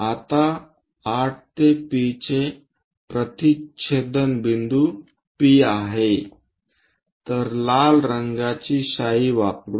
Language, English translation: Marathi, Now the intersection points for 8 to P is P, so let us use red color ink